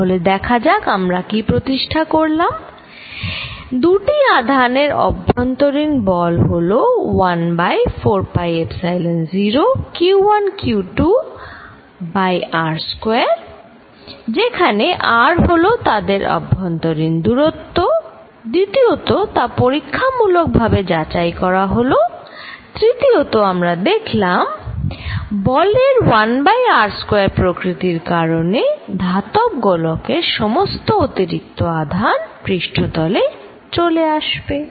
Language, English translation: Bengali, So, let us see what we established one force between two charges is 1 over 4 pi Epsilon 0 q 1 q 2 over r square, where r is the distance between them, number two experimentally verified here, third, because of 1 over r square nature of the force extra charge on a metal sphere will all come to the surface